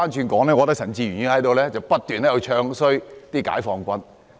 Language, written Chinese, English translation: Cantonese, 我反而覺得陳志全議員不斷在"唱衰"解放軍。, On the contrary I think Mr CHAN Chi - chuen has been bad - mouthing PLA